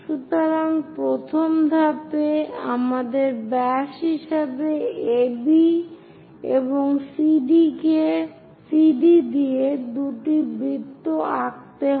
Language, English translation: Bengali, So, first step, we have to draw two circles with AB and CD as diameters